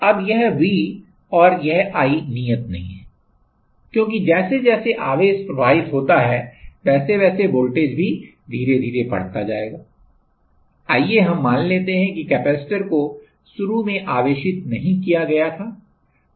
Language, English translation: Hindi, Now, this V and this i is not constant, because as the charge will flow, as the charge will flow the potential will also build up slowly let us say the capacitor initially it was not charged